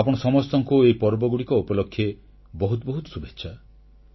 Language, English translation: Odia, I extend my best wishes to all countrymen for these festivals